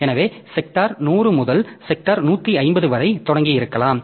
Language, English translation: Tamil, So, maybe starting from sector 100 to sector 150